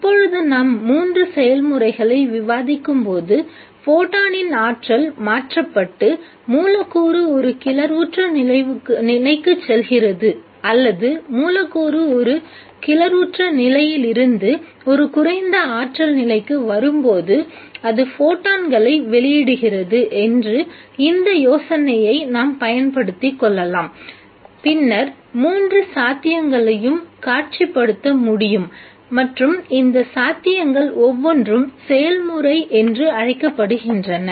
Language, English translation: Tamil, Now when we discuss the three processes let us make use of this idea that the energy of the photon is what gets transferred and the molecule goes into an excited state or when the molecule comes from an excited state to a lower energy state that it emits photons then it is possible to visualize three possibilities and each one of these possibilities is called to the process